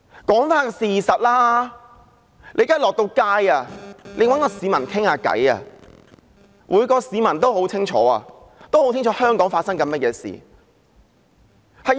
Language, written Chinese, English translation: Cantonese, 說回事實，現時到街上找市民談談，每名市民也很清楚香港發生甚麼事。, Coming back to the facts now when you go and talk to people on the streets every citizen is fully aware of what is happening in Hong Kong